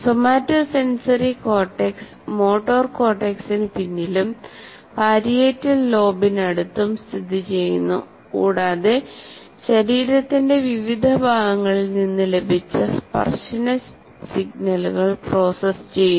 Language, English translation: Malayalam, And somatosensory is located behind motor cortex and close to the parietal lobe and process touch signals received from various parts of the body